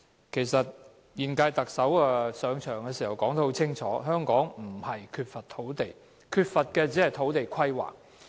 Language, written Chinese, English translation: Cantonese, 其實，現屆特首上場時說得很清楚，香港不是缺乏土地，而是缺乏土地規劃。, In fact when the current - term Chief Executive assumed office he clearly said that Hong Kong did not lack land but rather it lacked land planning